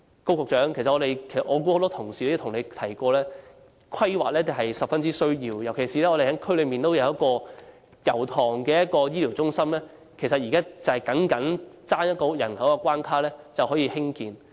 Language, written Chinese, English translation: Cantonese, 我相信很多同事亦曾向高局長提及，規劃是十分重要的，尤其是我們希望在油塘設置的醫療中心，現在尚待符合有關人口的關卡，便可以興建。, I believe many Honourable colleagues have also mentioned to Secretary Dr KO that planning is very important . In particular the healthcare centre which we wish to be set up in Yau Tong is yet to be constructed now pending the population requirement to be met